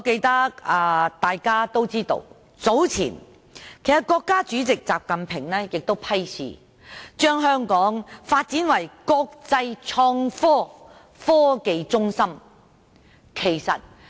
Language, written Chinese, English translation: Cantonese, 大家皆知道，國家主席習近平早前批示，要把香港發展為國際創科科技中心。, As Members all know President XI Jinping recently gave an instruction saying that Hong Kong must be developed into an international innovation and technology centre